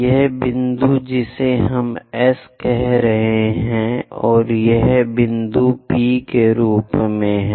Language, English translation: Hindi, This point what we are calling S and this point as P